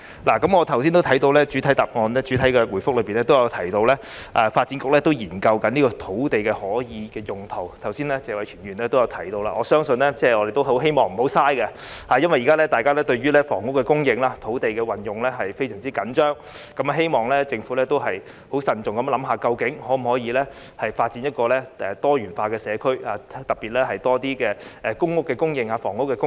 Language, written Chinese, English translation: Cantonese, 我剛才也看到，開場發言中提到發展局正研究這塊土地可使用用途，而謝偉銓議員剛才也提到，希望政府不要浪費；因為現在大家對於房屋供應、土地的運用非常着緊，希望政府可以慎重地考慮，究竟能否發展多元化的社區，特別是有更多公屋供應、房屋供應。, As Mr Tony TSE also mentioned earlier we hope that it will not be wasted by the Government . It is because at present people are very concerned about the housing supply and the uses of land . We wish that the Government can consider cautiously the possibility of developing diversified communities especially the supply of more public housing and other types of housing